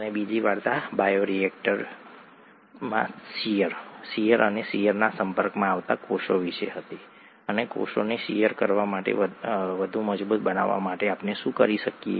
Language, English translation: Gujarati, And the second story was about shear, shear, in a bioreactor and the cells being exposed to shear, and what could we do to make the cells more robust to shear,